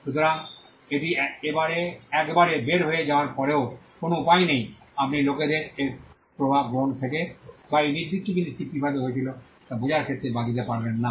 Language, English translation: Bengali, So, once it is out there is no way you can exclude people from taking effect of it or in understanding how that particular thing was done